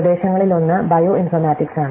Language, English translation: Malayalam, So, one of the area is an bio informatics